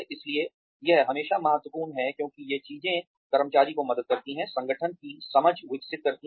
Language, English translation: Hindi, So, it is always important, because these things help the employee, develop an understanding of the organization